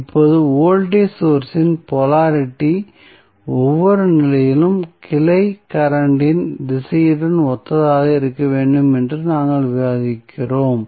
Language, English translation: Tamil, Now, as we discuss that polarity of voltage source should be identical with the direction of branch current in each position